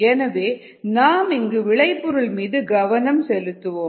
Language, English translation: Tamil, so let us concentrate on the product here